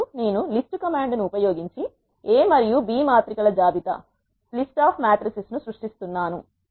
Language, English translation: Telugu, Now, I am creating a list of matrices A and B using the list command